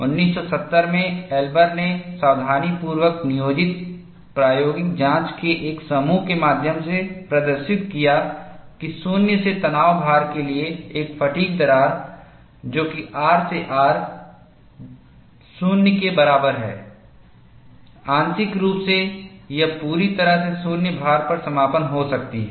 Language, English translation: Hindi, Elber in 1970 demonstrated through a set of carefully planned experimental investigations, that a fatigue crack propagating under zero to tension loading, that is R to R equal to 0, might be partially or completely closed at zero load